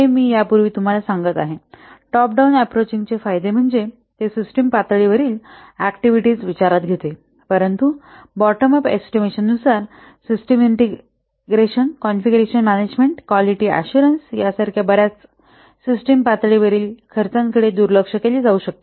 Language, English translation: Marathi, This I have already told you earlier, the advantages of top down approach that it takes into account the system level activities but bottom of estimation may overlook many of the system level costs as integration, conclusion management, etc